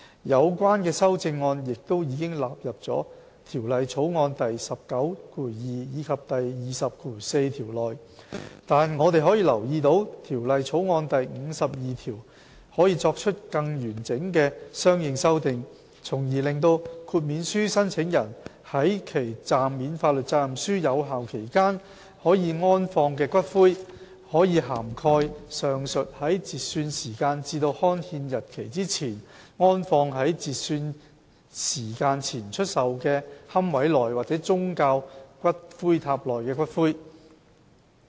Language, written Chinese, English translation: Cantonese, 有關修正案亦已納入《條例草案》第192及204條內，但我們可以留意到《條例草案》第52條可作出更完整的相應修訂，從而令豁免書申請人在其暫免法律責任書有效期間可安放的骨灰，可涵蓋上述在截算時間至刊憲日期之前，安放在截算時間前出售的龕位內或宗教骨灰塔內的骨灰。, The relevant amendments are incorporated into clauses 192 and 204 of the Bill . Yet we have noticed that consequential amendments can be made to clause 52 of the Bill to make it more comprehensive such that the interment of ashes by those applying for an exemption during the validity period of his TSOL can cover the aforementioned interment of ashes in pre - cut - off - time - sold niches or religious ash pagodas between the cut - off time and the enactment date